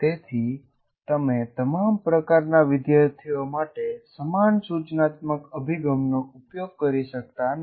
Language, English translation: Gujarati, So you cannot take the same instructional approach to different, to all types of students